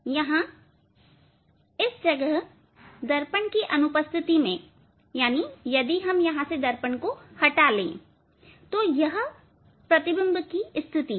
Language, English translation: Hindi, here this position here in absence of mirror if mirror just if we take out, this is the image position